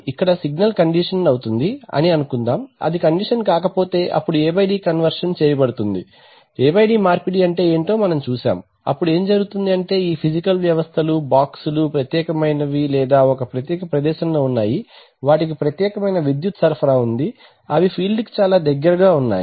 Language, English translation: Telugu, Let us assume that, it is signal conditioned we are not, if it is not that then it will be conditioned then the A/D conversion, we have seen what is A/D conversion, then now what happens is that, is that, this thing, this physical, this systems, boxes are separate or situated a separate place, they have their own separate power supplies they are situated possibly much closer to the field